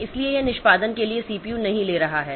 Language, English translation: Hindi, So, that is not taking the CPU for execution